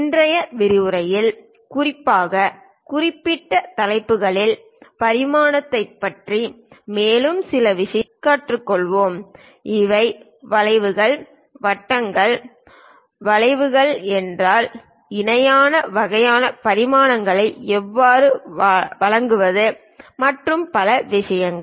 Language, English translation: Tamil, In today's lecture we will learn some more things about dimensioning especially on special topics, like, if these are arcs, circles, curves, how to give parallel kind of dimensions and many other things